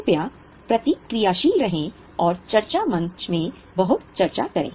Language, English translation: Hindi, Please be responsive, discuss a lot on your discussion forum